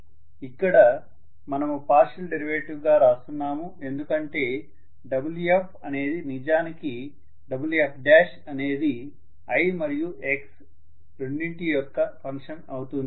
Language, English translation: Telugu, So from this I should be able to write F equal to, I am writing a partial derivative because Wf is actually Wf dash rather is a function of both i as well as x